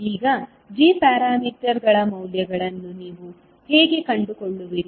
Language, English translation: Kannada, Now, how you will find out the values of g parameters